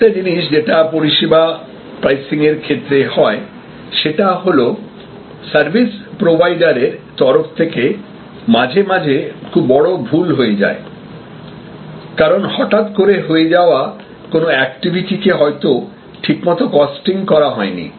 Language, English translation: Bengali, Also, another thing that happens is that in services pricing, from the service provider side, sometimes there can be grows mistakes, because sudden activities might not have been costed properly